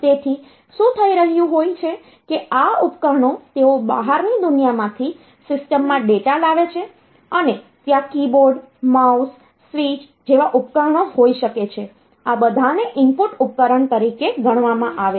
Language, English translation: Gujarati, So, what is happening is that this devices they bring data into the system from the outside world and there can be devices like keyboard, mouse, switch, all these they can be treated as input device